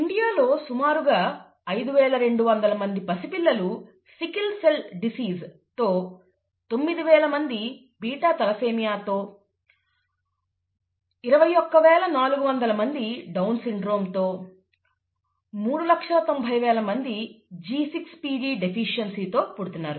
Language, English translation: Telugu, In India, an estimated five thousand two hundred infants with sickle cell disease, nine thousand with something called beta thalassaemia, twenty one thousand four hundred with Down syndrome and , three hundred and ninety thousand with G6PD deficiency are born each year, okay